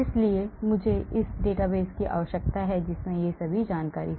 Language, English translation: Hindi, so I need a database which contains all these information